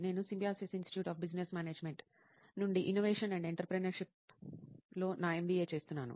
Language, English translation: Telugu, And I am doing my MBA in Innovation and Entrepreneurship from Symbiosis Institute of Business Management